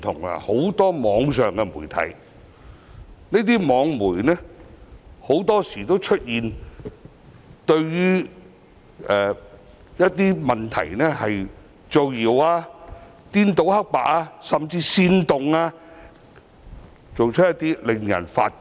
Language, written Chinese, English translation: Cantonese, 不少網上媒體很多時候會對一些問題造謠、顛倒黑白，甚至煽動他人等，做法令人髮指。, Some online media often spread rumours on certain issues reverse black and white and even incite people to commit certain acts etc and their actions are outrageous